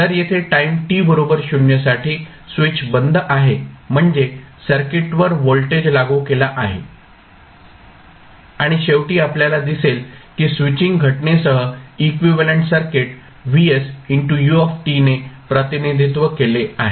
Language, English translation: Marathi, If at time t equal to 0 switch is closed means voltage is applied to the circuit and finally you will see that the equivalent circuit including the switching phenomena can be represented as vs into ut